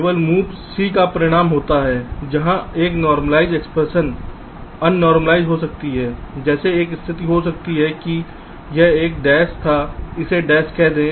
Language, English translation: Hindi, only only move c can result in a case where a normalized expression can become un normalized, like you might be having a situation